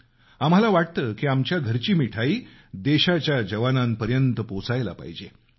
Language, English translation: Marathi, We also feel that our homemade sweets must reach our country's soldiers